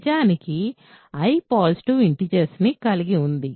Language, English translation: Telugu, In fact, then I contains positive integers